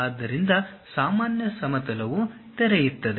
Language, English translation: Kannada, So, normal plane opens up